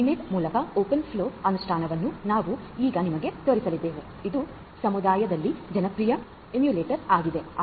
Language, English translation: Kannada, We are now going to show you the implementation of open flow through Mininet which is a popular emulator that is there in the community